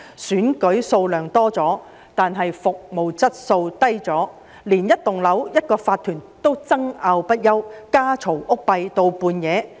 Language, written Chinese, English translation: Cantonese, 選舉數目增多，但服務質素下降，連一幢樓宇的一個法團也爭拗不休，家嘈屋閉至深夜。, Despite the increase in the number of elections held the quality of services deteriorates . Even the case of an owners corporation of a building can trigger endless disputes and heated argument till midnight